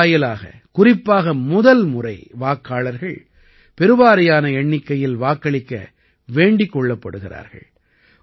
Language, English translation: Tamil, Through this, first time voters have been especially requested to vote in maximum numbers